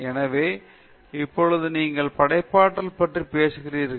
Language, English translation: Tamil, So, now, you are going to talk about creativity